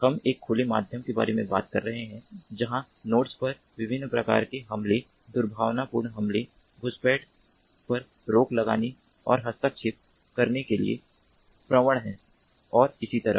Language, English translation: Hindi, we are talking about an open medium where the nodes are prone to different types of attacks: malicious attacks, infiltration, eavesdropping, interference and so on